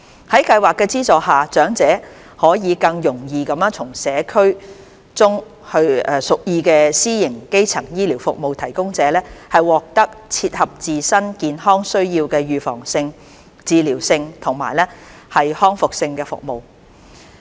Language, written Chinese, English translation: Cantonese, 在計劃的資助下，長者可以更容易地從社區中屬意的私營基層醫療服務提供者，獲得最切合自身健康需要的預防性、治療性及復康性服務。, With the subsidies provided under the Scheme elders can more easily obtain the preventive curative and rehabilitative services that suit their health needs from their chosen private primary health care service providers in the community